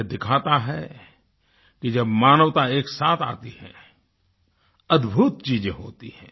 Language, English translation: Hindi, This proves that when humanity stands together, it creates wonders